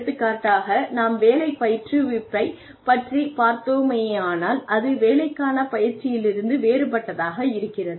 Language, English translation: Tamil, So for example when we are talking about, job instruction training, on the job training is different from, job instruction training